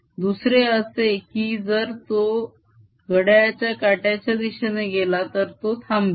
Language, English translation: Marathi, on the other hand, when it goes clockwise, it is stopped